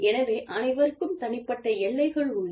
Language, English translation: Tamil, And, so everybody has personal boundaries